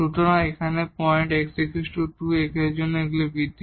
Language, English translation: Bengali, So, the point here x is equal to 2 and these are the increment